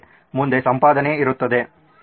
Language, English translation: Kannada, Next would be editing